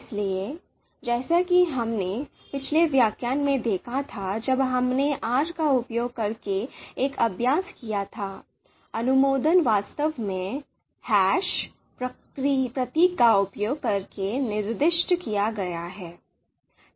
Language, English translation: Hindi, So as we saw in the previous you know lecture when we did an exercise using R, the comments are actually you know using the hash symbol